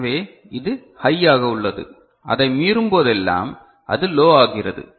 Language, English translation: Tamil, So, this is remaining high and whenever it exceeds it, it goes low ok